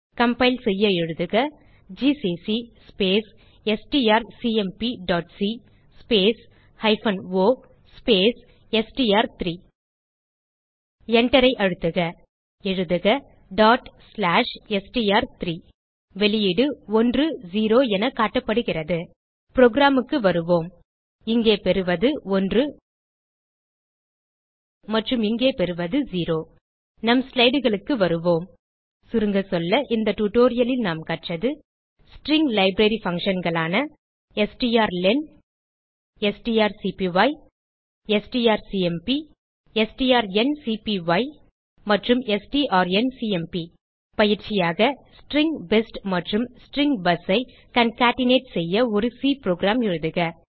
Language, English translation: Tamil, To compile type gcc space strcmp.c space hyphen o space str3 Press Enter Type ./str3 The outpur is displayed as 1,0 Come back to our program Here we get 1 and here we get as 0 Let us come back to our slides Let us summarize, In this tutorial we learned, String library functions strlen() strcpy() strcmp() strncpy() and strncmp() As an assignemnt, Write a C Program to concatenate String best and String bus